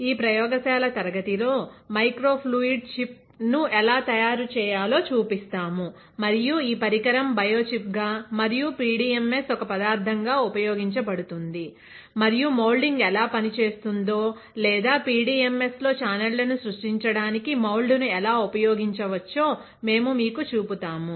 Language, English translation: Telugu, In this lab class we will show it to you how to fabricate the microfluidic chip and this device will be used for as a biochip and with PDMS as a material and also we will show you how the moulding will work or how we can use mould for creating channels in PDMS